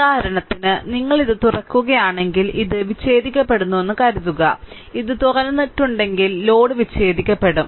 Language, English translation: Malayalam, If you open this for example, if you open this, suppose this is disconnected, if it is open this then load is disconnected